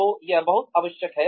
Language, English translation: Hindi, So, that is very essential